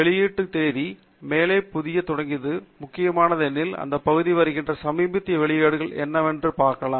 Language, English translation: Tamil, Publication date, starting from the newest at the top, is important because that is where you will see what is a latest publication that is coming in this area